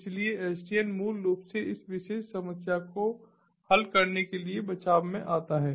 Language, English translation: Hindi, so the sdn basically comes to a, comes to a rescue to solve this particular problem